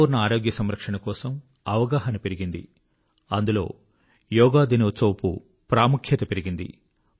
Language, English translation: Telugu, The awareness about Holistic Health Care has enhanced the glory of yoga and Yoga day